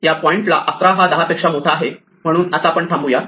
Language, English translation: Marathi, At this point 11 is bigger than 10